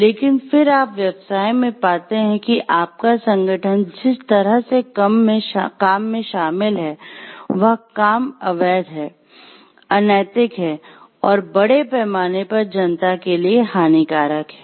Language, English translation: Hindi, But then you finds like the business that your organization is involved in the way that it is doing things, it is illegal, it is unethical, it is harmful to the public at large